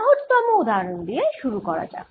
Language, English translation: Bengali, let us start with the simplest example